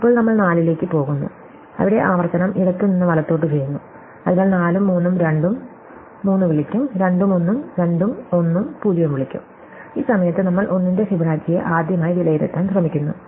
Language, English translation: Malayalam, Now, we go to 4, where just doing recursion left to right, so 4 will call 3 and 2, 3 will call 2 and 1, 2 will call 1 and 0, at this point we try to evaluate Fibonacci of 1 to the first time